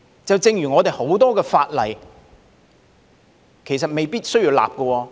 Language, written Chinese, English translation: Cantonese, 正如我們很多法例，其實未必需要立法。, As in the case of many laws it may not be necessary to enact any such laws actually